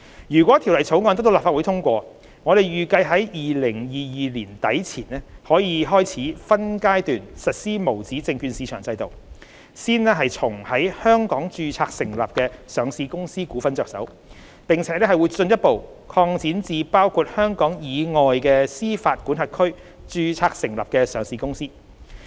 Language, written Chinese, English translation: Cantonese, 若《條例草案》得到立法會通過，我們預計在2022年年底前開始分階段實施無紙證券市場制度，先從在香港註冊成立的上市公司股份着手，並會進一步擴展至包括香港以外的司法管轄區註冊成立的上市公司。, Should the Bill be passed by the Legislative Council it is expected that a phased approach will be adopted to implement the USM regime by the end of 2022 starting first with listed shares of companies incorporated in Hong Kong and then listed shares of companies incorporated in other jurisdictions outside Hong Kong